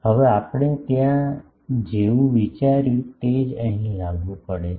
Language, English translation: Gujarati, Now, the same consideration as we have done there applies here